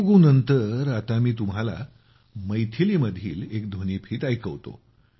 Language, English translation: Marathi, After Telugu, I will now make you listen to a clip in Maithili